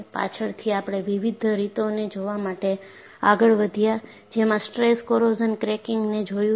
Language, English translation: Gujarati, Later on, we proceeded to look at various ways, stress corrosion cracking can happen